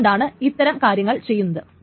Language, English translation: Malayalam, So that is why these things can be done